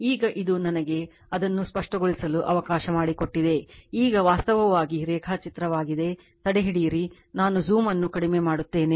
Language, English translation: Kannada, Right now, this is let me clear it , now actually diagram is, hold on hold on I will I will reduce the zoom just hold on